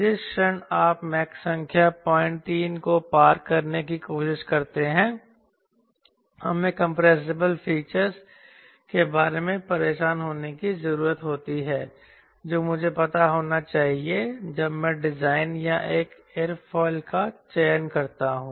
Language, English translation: Hindi, the moment you try to cross mach point three roughly, we need to be bothered about compressible features which i need to know when i design or select an aerofoil